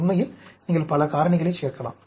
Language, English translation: Tamil, You can add many factors, actually